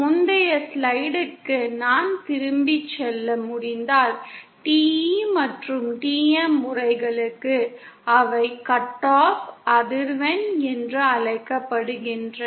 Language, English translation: Tamil, If I can go back to the previous slide, is that for TE and TM modes, they have something called a cut off frequency